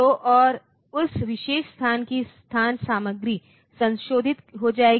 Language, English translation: Hindi, So, and the location content of that particular location will get modified